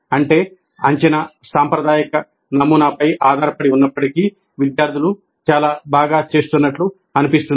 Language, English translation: Telugu, That means even if the assessment is based on the traditional model, the students seem to be doing extremely well